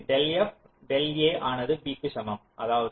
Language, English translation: Tamil, so del f del equal to b means what